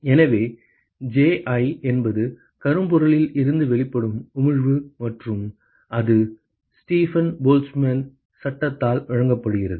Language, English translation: Tamil, So, Ji is just the emission from the blackbody and that is given by Stephen Boltzmann law right